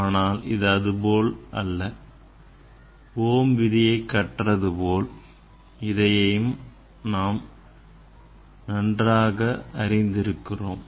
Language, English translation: Tamil, but it is not like this whatever we learn that Ohm s law we know very well whatever I told you know very well